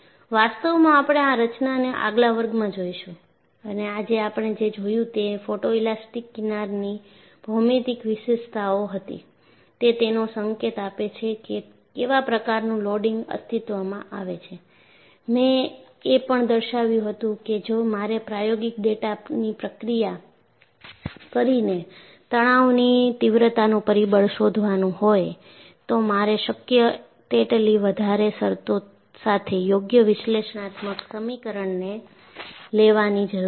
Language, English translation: Gujarati, In fact we would look at these mechanisms in the next class and what we saw today was the geometric features of the photoelastic fringe, gives you an indication of what kind of loading that exist and I also pointed out, if I have to find out stress intensity factor by processing experimental data, I need to take an appropriate analytical equation with as many terms as possible